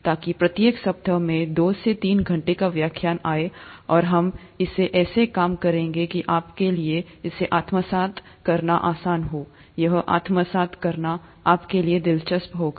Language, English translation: Hindi, So that comes to about two to three hours of lectures each week, and we will work it out such that it is easy for you to assimilate, it’ll be interesting for you to assimilate and so on